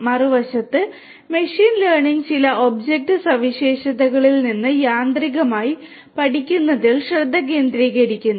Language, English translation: Malayalam, On the other hand, machine learning focuses on learning automatically from certain object features